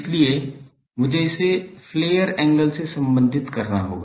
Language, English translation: Hindi, So, I will have to relate it with the flare angle